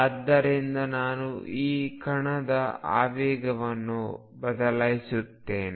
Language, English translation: Kannada, So, I will change the momentum of this particle